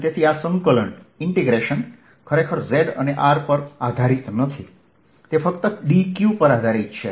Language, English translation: Gujarati, so this integration does not do really depend on z and r, it depends only on d q